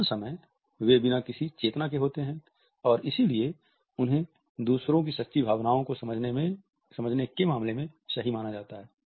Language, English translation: Hindi, Most of the time they are made without any consciousness and therefore, they are considered to be the case to understanding true emotions of others